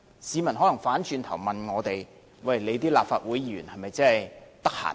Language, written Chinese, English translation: Cantonese, 市民可能反過來問我們，立法會議員是否很空閒。, The public may conversely ask us whether the Members of the Legislative Council are having plenty of time